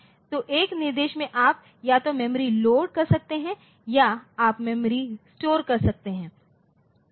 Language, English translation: Hindi, So, in an instruction you can either load from memory or you can store into the memory